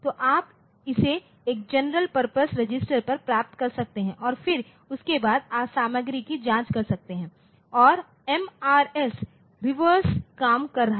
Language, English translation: Hindi, So, you can you can get it onto a general purpose register and then you can access that general purpose register to check the content and MRS it is it is doing just the reverse